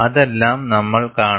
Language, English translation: Malayalam, All that, we will see